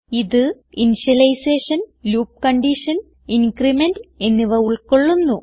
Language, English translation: Malayalam, It consisits of initialization, loop condition and increment